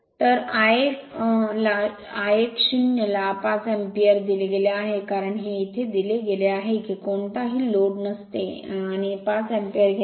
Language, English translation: Marathi, So, I L 0 is given 5 ampere it is given, because here it is given your what you call on no load and takes 5 ampere right